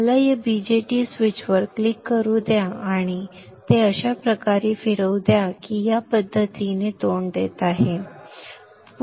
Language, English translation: Marathi, Let me click on this BJT switch and let me rotate it in such a way that it is facing in this fashion